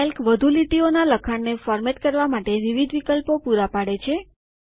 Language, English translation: Gujarati, Calc provides various options for formatting multiple lines of text